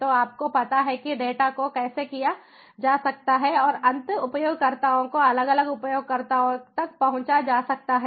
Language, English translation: Hindi, so you know, data can be cached and can be made accessible to the end users, to the different users